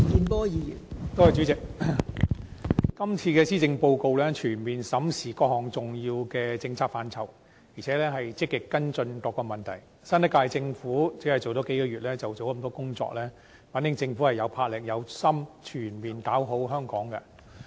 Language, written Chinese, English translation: Cantonese, 代理主席，這份施政報告全面審視各項重要的政策範疇，並且積極跟進各項問題，新一屆政府就任只有數個月，就做了這麼多工作，反映政府有魄力、有心全面搞好香港。, Deputy President the Policy Address comprehensively examines various important policy areas and actively follows up various problems . Having assumed office for only several months the new Government has performed so many tasks reflecting that the Government is bold and resolute in making Hong Kong better